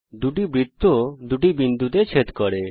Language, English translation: Bengali, The two circles intersect at two points